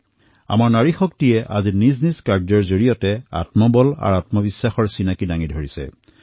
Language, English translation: Assamese, Today our woman power has shown inner fortitude and selfconfidence, has made herself selfreliant